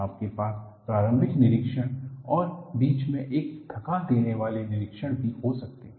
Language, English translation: Hindi, You may have a preliminary inspection; you may have an exhausting inspection in between